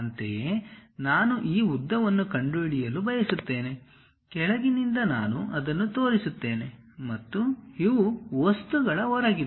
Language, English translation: Kannada, Similarly I want to really locate this length; all the way from bottom I will show that and these are outside of the things